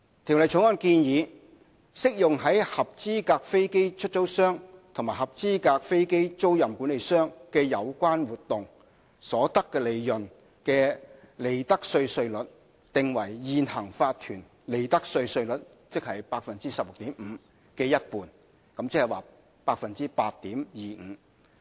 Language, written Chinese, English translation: Cantonese, 《條例草案》建議，適用於合資格飛機出租商及合資格飛機租賃管理商的有關活動，所得利潤的利得稅稅率，訂為現行法團利得稅稅率 16.5% 的一半，即 8.25%。, The Bill proposes that the tax rate on profits derived from activities of qualifying aircraft lessors and qualifying aircraft leasing managers shall be half of the prevailing profits tax rate of 16.5 % for corporation ie